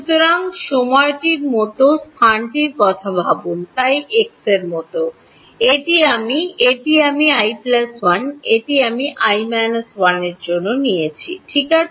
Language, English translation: Bengali, So, think of the time think of space like this x, this is i, this is i plus 1, this is i minus 1 ok